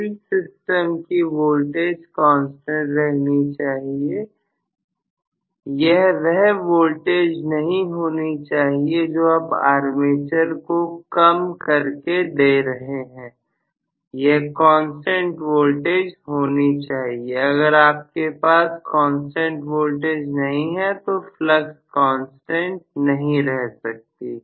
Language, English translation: Hindi, Field system has to be having a constant voltage, it cannot have the same voltage, which you have given as a reduced voltage to the armature system, it has to be a constant voltage, if you do not have a constant voltage, flux cannot be a constant